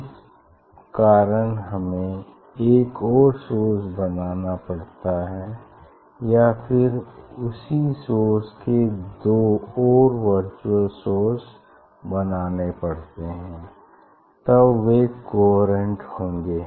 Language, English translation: Hindi, that is why from same source we have to generate another source, or we have to generate two more source from the same source then they will be coherent